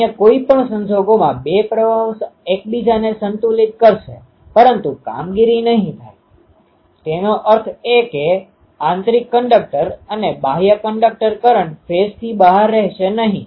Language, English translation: Gujarati, In any other case the two currents will balance each other, but the operations won't be; that means, ah inner conductor and outer conductor currents won't be out of phase